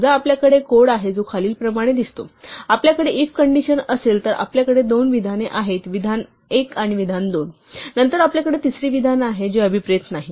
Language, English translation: Marathi, Suppose, we have code which looks as follows; we have if condition then we have two indented statements statement 1 and statement 2, and then we have a third statement which is not indented